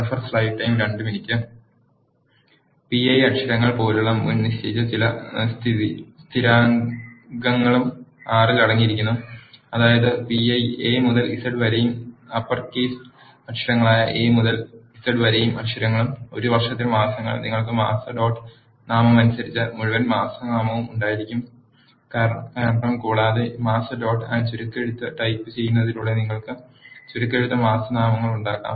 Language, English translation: Malayalam, R also contains some predefined constants that are available such as pi, letters, the lowercase a to z and letters in the uppercase which are uppercase letters from A to Z and months in a year, you can have full month name by month dot name and you can have abbreviated month names by typing month dot abbreviation